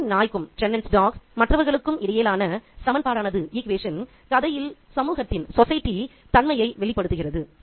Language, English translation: Tamil, The equation between Chennan's dog and the others reveals the nature of society in this story